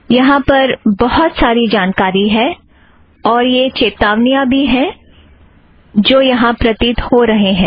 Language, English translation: Hindi, There is a lot of information, as well as these warnings which appear here as well